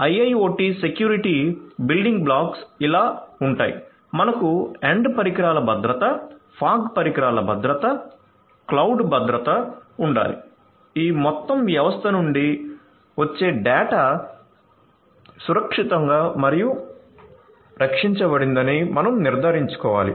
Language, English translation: Telugu, So, IIoT security building blocks would be like this, you need to have end devices security, fog devices security, cloud security you need to ensure that the data that is coming in from this whole system that is secured and protected